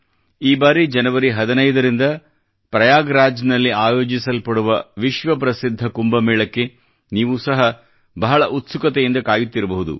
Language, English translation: Kannada, This time the world famous Kumbh Mela is going to be held in Prayagraj from January 15, and many of you might be waiting eagerly for it to take place